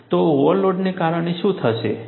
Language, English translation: Gujarati, So, because of overload, what has happened